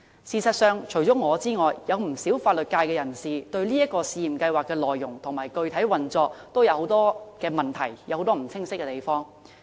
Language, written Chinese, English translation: Cantonese, 事實上，除了我之外，不少法律界人士對這個試驗計劃的內容和具體運作，也有很多疑問和不清晰的地方。, Indeed many legal professionals apart from me have raised a lot of queries and pointed out various areas needing clarification with regard to the content and specific operation of this pilot scheme